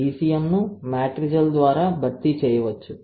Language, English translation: Telugu, ECM can be replaced by matrigel, one thing